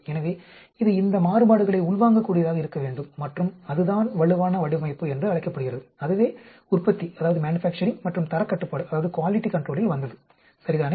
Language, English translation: Tamil, So, it should be able to absorb these variations and that is called the robust design that came into manufacturing and quality control, ok